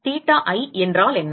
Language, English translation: Tamil, What is theta i